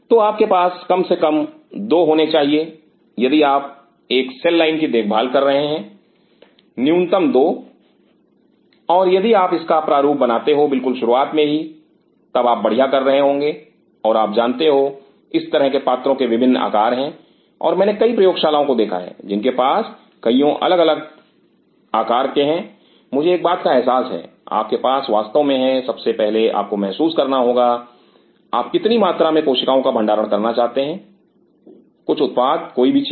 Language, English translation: Hindi, So, you need to have at least 2 if you are maintaining a cell line minimum 2 and if you design it right in the beginning then you will be doing better and you know this kind of vessels have different sizes and I have seen several labs have several kind of sizes where one thing I realize you have to have really, first of all you have to realize how much quantity of cells you wanted to store some production something